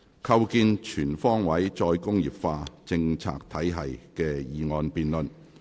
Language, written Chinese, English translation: Cantonese, 構建全方位"再工業化"政策體系的議案辯論。, The motion debate on Establishing a comprehensive re - industrialization policy regime